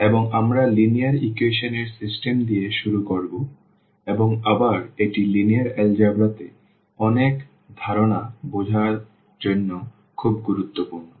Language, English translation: Bengali, And, we will start with the system of linear equations and again this is a very important to understand many concepts in linear algebra